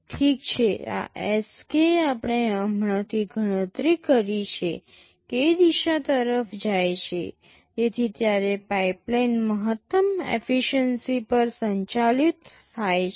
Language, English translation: Gujarati, Well, this Sk we just calculated will tend to k, so that is when the pipeline is operated at maximum efficiency